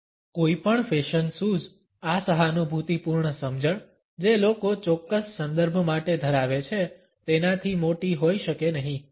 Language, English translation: Gujarati, No fashion sense can be greater than this empathetic understanding which people have for a particular context